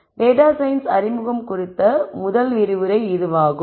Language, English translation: Tamil, So, this is the first lecture on introduction to data science